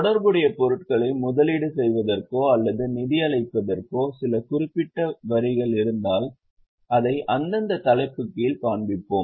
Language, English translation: Tamil, If there are some specific taxes on investing or financing related items, we will show it under the respective head